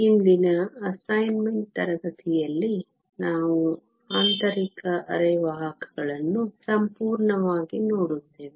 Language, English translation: Kannada, In today’s assignment class, we will be looking fully at intrinsic semiconductors